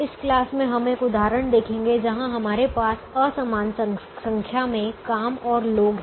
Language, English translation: Hindi, in this class we will look at an example where we have an unequal number of jobs and people